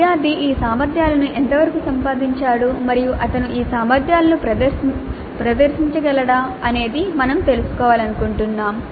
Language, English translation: Telugu, Now we would like to know what is the extent to which the student has acquired these competencies and is able to demonstrate these competencies